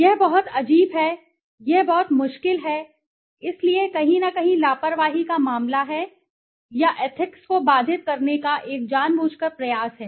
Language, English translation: Hindi, It is very strange; it is very difficult so there is somewhere a case of negligence or a deliberate attempt to hamper ethics